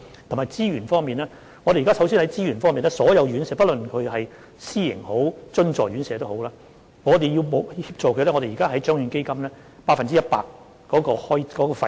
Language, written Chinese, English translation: Cantonese, 還有資源方面，我們首先向所有院舍，不論是私營或津助，提供協助，由獎券基金承擔百分之一百的費用。, And as far as resources are concerned we will first provide assistance to all care homes privately - run or subvented and the cost will be fully funded by the Lottery Fund